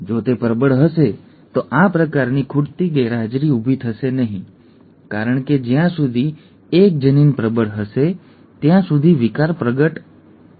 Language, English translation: Gujarati, If it is dominant, then this kind of a missing will not arise because one of the, as long as one of the genes is dominant the disorder will manifest